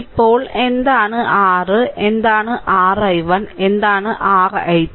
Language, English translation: Malayalam, Now, what is your ah what is your i 1 and what is your i 2